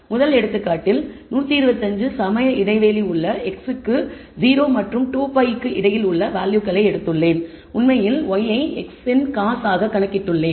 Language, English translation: Tamil, In the first example I have taken 125 equally spaced values between 0 and 2 pi for x and I have actually computed y as cos of x